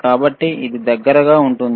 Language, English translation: Telugu, So, it will be close